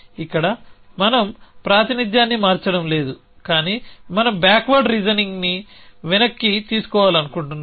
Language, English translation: Telugu, Here we are not changing the representation, but we want to back ward reasoning